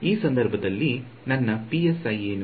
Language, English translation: Kannada, What is my psi in this case